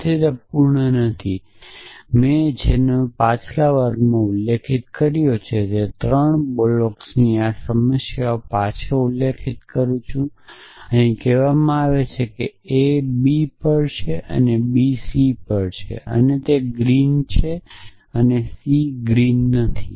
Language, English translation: Gujarati, So, it is not complete I refer you back to this problem of 3 blocks that we had mentioned in the last class, we are said that a is on b and b is on c and a is green and c is naught green